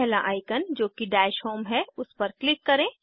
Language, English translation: Hindi, Click on first icon i.e the Dash home